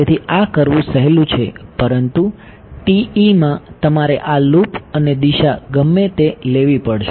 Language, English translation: Gujarati, So, this is the easier thing to do, but in TE you have to take this loop and direction whatever